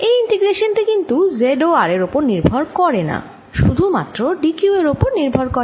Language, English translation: Bengali, so this integration does not do really depend on z and r, it depends only on d q